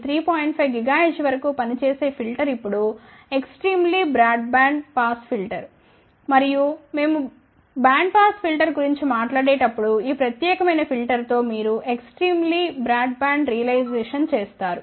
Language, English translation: Telugu, 5 gigahertz now that is a very very broad band band pass filter, ok and when we talk about band pass filter you will realize at this particular filter is extremely broad band, ok